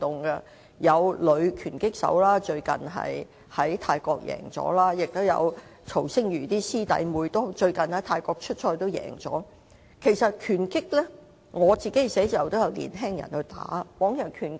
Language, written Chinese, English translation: Cantonese, 例如最近有女拳擊手在泰國賽事勝出，曹星如的師弟師妹最近在泰國出賽時也有勝出，在我辦事處工作的年青人亦有參與拳擊運動。, A woman boxer for example has recently made her way to championship in Thailand and so have some boxers junior to Rex TSO . The young people working in my office likewise practise boxing